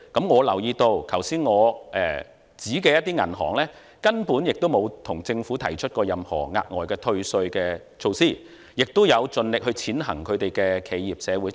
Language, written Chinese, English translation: Cantonese, 我留意到上述銀行根本沒有向政府要求任何額外退稅的措施，亦有盡力踐行企業社會責任。, I have noticed that the aforesaid banks have not asked the Government for any additional tax concession measures whatsoever and they have tried their best to implement corporate social responsibility